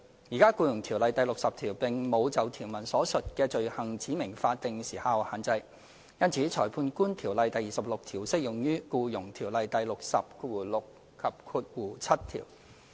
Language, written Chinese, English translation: Cantonese, "現時，《僱傭條例》第60條並無就條文所述的罪行指明法定時效限制，因此《裁判官條例》第26條適用於《僱傭條例》第606及7條。, At present there is no statutory time limit specified for the offences under section 60 of EO . Hence section 26 of the Magistrates Ordinance applies to section 606 and 7 of EO